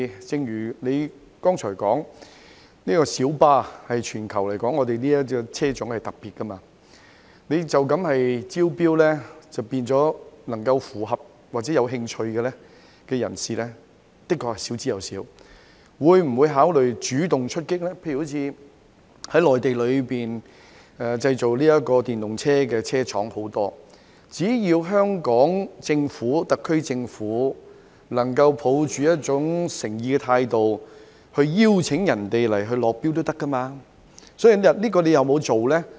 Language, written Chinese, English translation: Cantonese, 正如局長剛才所說，小巴在全球來說是特別的車種，透過一般招標，符合要求或有興趣的人士的確少之又少，當局會否考慮主動出擊，例如在內地有很多製造電動車的車廠，只要特區政府能夠抱持誠意的態度，也可以邀請內地廠商來港落標，當局有否這樣做呢？, As the Secretary has pointed out PLB is a vehicle type unique to Hong Kong so it is indeed unlikely to find interested parties meeting the requirements through general tenders . Will the Administration consider taking an active approach? . For example there are many factories manufacturing electric vehicles in the Mainland